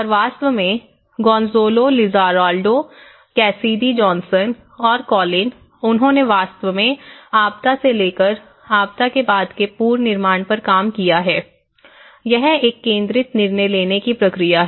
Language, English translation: Hindi, And in fact, Gonzalo Lizarralde and Cassidy Johnson and Colin and they have actually worked on rebuilding after disasters from emergency to sustainability, where they talk about it is a concentrated decision making process